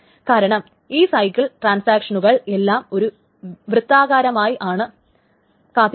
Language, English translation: Malayalam, Because in that cycle, all the transactions are waiting in a circular manner